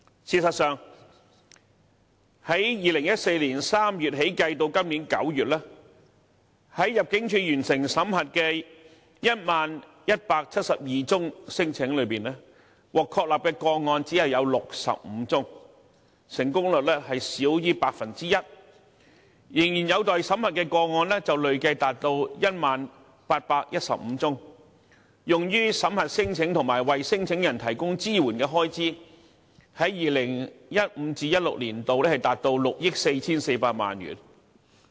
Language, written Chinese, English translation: Cantonese, 事實上 ，2014 年3月至今年9月計算，在入境處完成審核的 10,172 宗聲請中，獲確立的個案只有65宗，成功率少於 1%； 仍然有待審核的個案累計達 10,815 宗 ，2015-2016 年度用於審核聲請及為聲請人提供支援的開支達6億 4,400 萬元。, In fact in the nine months between March 2014 and September this year among the 10 172 non - refoulement claims assessed by the Immigration Department only 65 cases were substantiated representing a success rate of less than 1 % ; the backlog of pending cases has reached 10 815 and in 2015 - 2016 we spent 644 million dollars on screening the claims and supporting the claimants